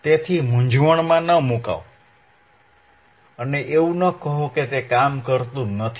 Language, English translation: Gujarati, So, do not get confused and do not say that oh it is not working